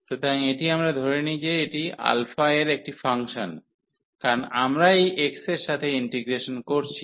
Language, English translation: Bengali, So, this we assume that this is a function of alpha, because we are integrating over this x